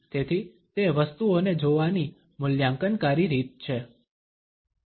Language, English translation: Gujarati, So, it is an evaluatory manner of looking at things